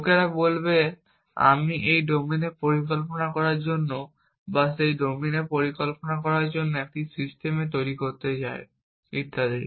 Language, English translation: Bengali, People would say I want to build a system for planning in this domain or planning in that domain and so on